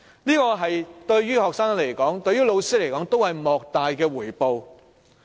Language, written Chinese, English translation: Cantonese, 這對學生和老師而言，都是莫大的回報。, This is an enormous reward to students as well as teachers